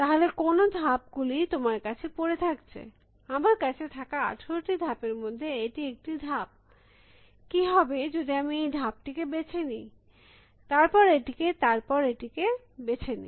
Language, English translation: Bengali, Then what are the moves available to you, out of the 18 moves that are available to me, one of them is this one, what if I choose this, then what if I choose this, then what if I choose this